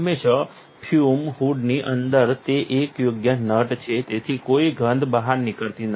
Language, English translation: Gujarati, Always, inside the fume hood it is a proper nut, so no smells escape